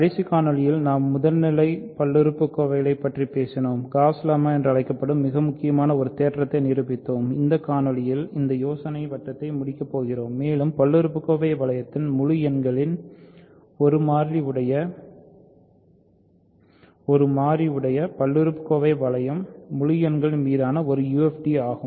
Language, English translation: Tamil, In the last video we talked about primitive polynomials and proved a very important theorem called Gauss lemma and in this video, we are going to finish that circle of ideas and show that the polynomial ring over integers in one variable polynomial ring in one variable over the integers is a UFD